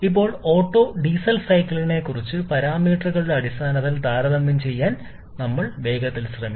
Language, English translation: Malayalam, Now, we shall quickly be trying to compare the Otto and Diesel cycle in terms of a few parameters